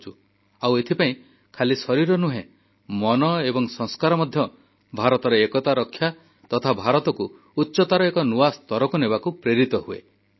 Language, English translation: Odia, And so, not just our body, but our mind and value system get integrated with ushering unity in India to take India to loftier heights